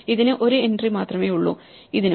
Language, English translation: Malayalam, This has only one entry, this also